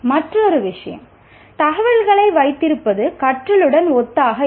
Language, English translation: Tamil, And another thing is mere position of information is not synonymous with learning